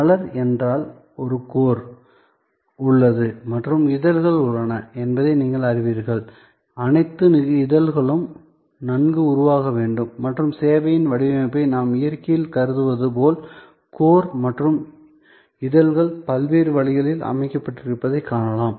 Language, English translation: Tamil, The flower means that, you know there is a core and there are petals around and all the petals must be well formed and the design of the service can we thought of, just as in nature we find that the core and the petals are arranged in so many different ways